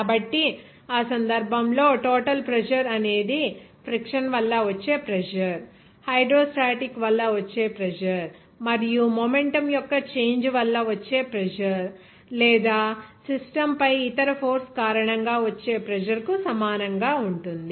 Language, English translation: Telugu, So, in that case, the total pressure will be equal to able to pressure due to friction, pressure due to hydrostatic pressure, and pressure due to the change of momentum or pressure because of other exerting force on the system